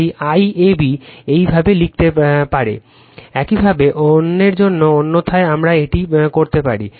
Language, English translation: Bengali, So, that is why IAB you can write like this, similarly for the other otherwise also we can do this